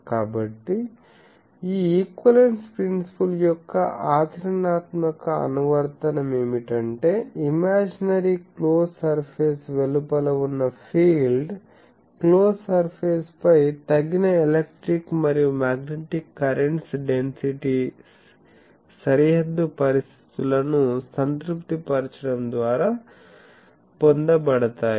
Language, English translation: Telugu, So, what is the practical application of this equivalence principle is, field outside an imaginary close surfaces, imaginary close surfaces are obtained by placing over the close surface suitable electric and magnetic currents, densities that satisfy boundary conditions